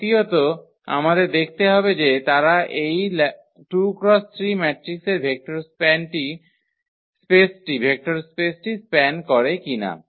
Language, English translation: Bengali, The second we have to check that they span the vector space of this matrices 2 by 3